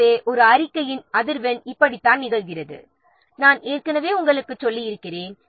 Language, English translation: Tamil, So this is how the frequency of reporting it occurs as I have already told you